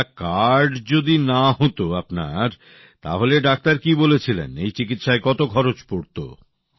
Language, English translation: Bengali, If there was no card, how much cost did the doctor say earlier